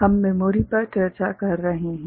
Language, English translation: Hindi, We are discussing Memory